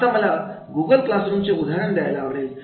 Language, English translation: Marathi, First, please understand what is Google classroom